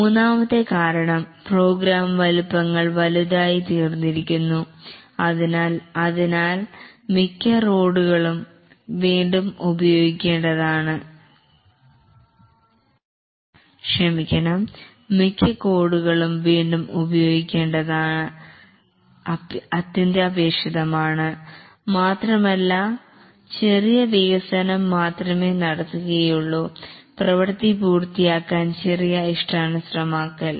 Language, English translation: Malayalam, The third reason is that the program sizes have become large and therefore it is imperative that most of the code is reused and only small development is done, small customization to complete the work